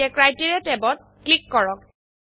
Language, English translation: Assamese, Lets click the Criteria tab